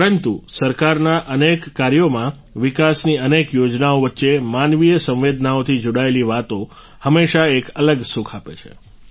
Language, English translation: Gujarati, But in the many works of the government, amidst the many schemes of development, things related to human sensitivities always give a different kind of joy